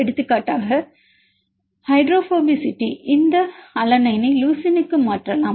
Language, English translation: Tamil, For example, hydrophobicity for example, a convert this alanine to leucine alanine you can say 13